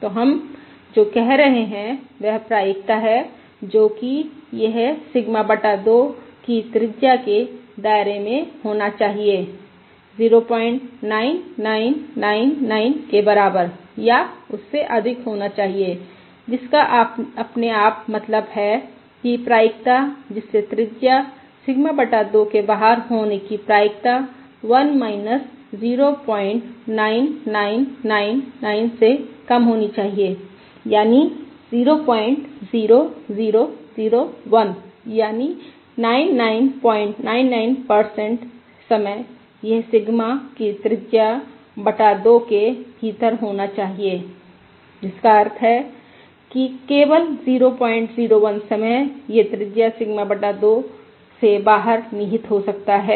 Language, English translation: Hindi, So what we are saying is the probability that it should lie within a radius of Sigma by 2 should be greater than or equal to point 9999, which automatically mean that the probability it lies outside the radius Sigma by 2 should be less than 1 minus point 9999, that is point 0001, that is 99 point, 99 percent of the time